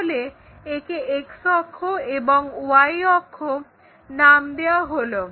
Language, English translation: Bengali, Let us call this one X axis, somewhere Y axis